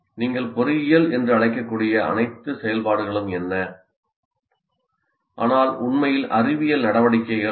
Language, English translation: Tamil, What are all the activities that you can call strictly engineering but not really science activities